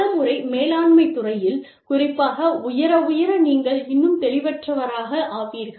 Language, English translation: Tamil, Many times, actually, especially in the management field, especially, the higher, you go, the more vague, you become